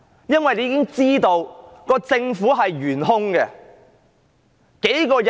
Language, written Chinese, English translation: Cantonese, 因為現在已經知道政府是懸空的。, Why? . Because we now know that the Government is void and empty